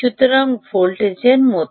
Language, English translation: Bengali, ok, ah, so voltages like that